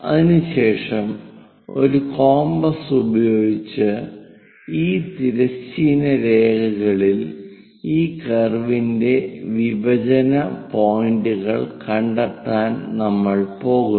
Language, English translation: Malayalam, After that with using compass, we are going to locate the intersection points of this curve on this horizontal lines